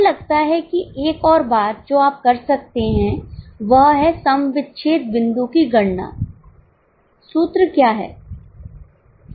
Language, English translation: Hindi, I think one more thing what you can do is compute the break even point